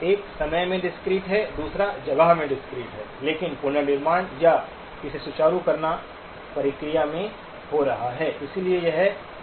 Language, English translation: Hindi, One is discrete in time, the other one is discrete in space but the reconstruction or the smoothening of it is happening in the process